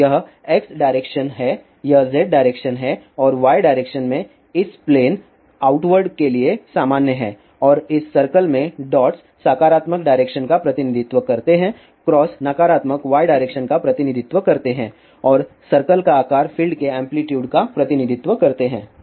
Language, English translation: Hindi, So, this is X direction, this is Z direction and y direction is normal to this plane out word and the dots in this circle represents the positive direction cross represent the negative Y direction andsize of the circle represent the amplitude of the field